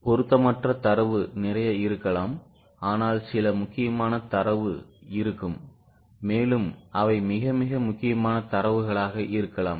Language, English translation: Tamil, There may be lot of data which is irrelevant, but there will be some important data which is very, very important